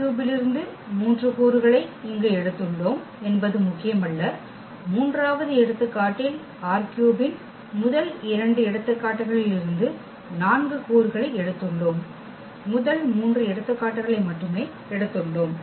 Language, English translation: Tamil, That just the number is not important that we have taken here three elements from R 3 in this, in the third example we have taken four elements from R 3 in first two examples we have taken again only three elements